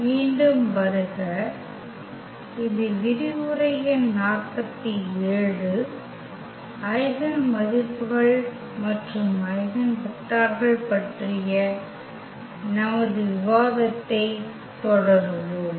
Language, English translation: Tamil, Welcome back and this is a lecture number 47, we will continue our discussion on Eigenvalues and Eigenvectors